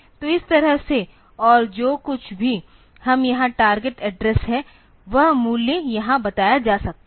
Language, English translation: Hindi, So, that way and whatever we may target address here that value can be stated here